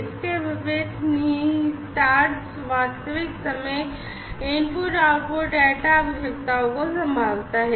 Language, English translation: Hindi, On the contrary, implicit handles real time input output data requirements